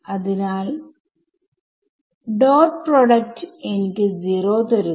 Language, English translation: Malayalam, So, the dot product will give me 0